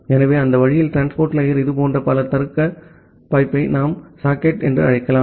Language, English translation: Tamil, So that way, we can have multiple such logical pipes at the transport layer which we call as the socket